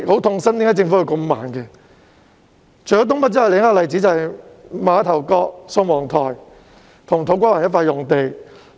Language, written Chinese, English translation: Cantonese, 除新界東北外，另一個例子便是馬頭角、宋皇臺與土瓜灣一塊用地。, Apart from NENT another example is a site in the area of Ma Tau Kok Sung Wong Toi and To Kwa Wan